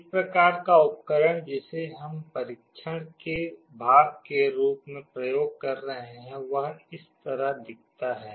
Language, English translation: Hindi, One kind of device we shall be using as part of the experiment looks like this